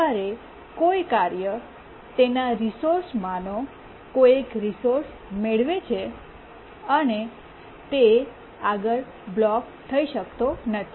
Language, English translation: Gujarati, When a task gets one of its resource, it is not blocked any further